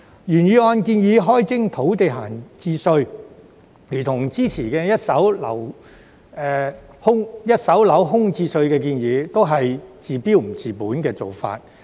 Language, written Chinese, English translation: Cantonese, 原議案建議開徵土地閒置稅，但這如同之前一手樓空置稅的建議，都是治標不治本。, The original motion proposes to introduce an idle land tax . However just like the proposal of a vacancy tax on first - hand properties before this only treats the symptoms but not the root cause of the problem